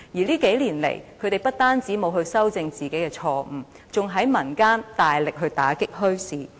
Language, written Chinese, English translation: Cantonese, 這數年來，他們不但沒有修正自己的錯誤，還在民間大力打擊墟市。, Over the past few years they have failed to rectify their mistakes and what is more they have spared no effort to crack down on bazaars in the community